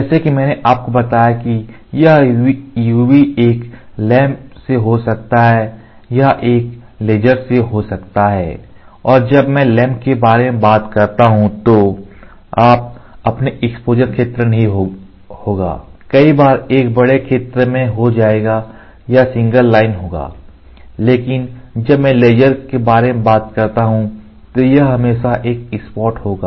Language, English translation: Hindi, As I told you this UV can be from a lamp or it can be from a laser and when I talk about lamp, so you will not your exposure area, many a times will be over a large area or it will be along a single line, but when I talk about laser, it will always be a spot